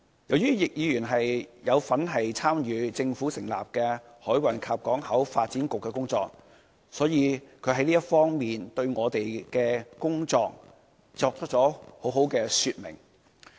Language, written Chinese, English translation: Cantonese, 由於易議員有份參與政府成立的香港海運港口局的工作，所以他在這方面對我們的工作作出了很好的說明。, As Mr YICK has participated in the work of the Hong Kong Maritime and Port Board he is able to provide a good description of our work